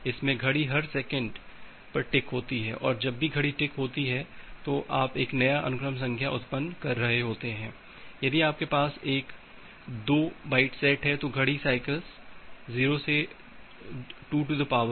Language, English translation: Hindi, So, the clock ticked every 4 microseconds, so whenever the clock is ticking you are generating a new sequence number if you have a byte 2 set and the value of the clock it cycles from 0 to 2 to the power 32 to minus 1